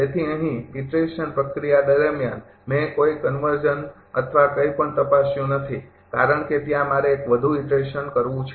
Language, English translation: Gujarati, So, here a during the iterative process, I didn't check any convergence thing or anything, because there I have to one more iteration